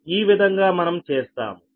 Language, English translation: Telugu, this will be this